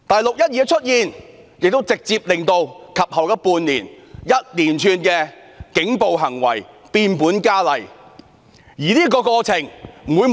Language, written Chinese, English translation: Cantonese, "六一二"事件的出現，亦直接令及後半年的一連串警暴行為變本加厲。, The 12 June incident was the direct cause of the escalation of police violence in the following six months